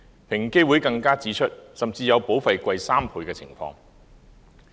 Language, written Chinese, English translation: Cantonese, 平機會更指出，甚至有保費高3倍的情況。, EOC further pointed out that in some cases the premium was three times higher